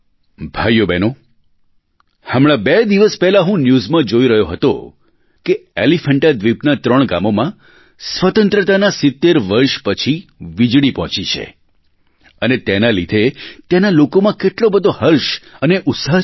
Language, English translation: Gujarati, My dear Brothers and sisters, I was just watching the TV news two days ago that electricity has reached three villages of the Elephanta island after 70 years of independence, and this has led to much joy and enthusiasm among the people there